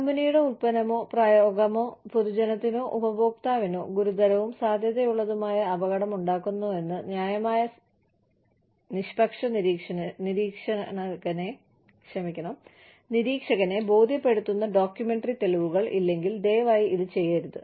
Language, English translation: Malayalam, Please do not do this, unless, you have documentary evidence, that would convince a reasonable impartial observer, that the company's product or practice, poses a serious and likely danger, to the public or user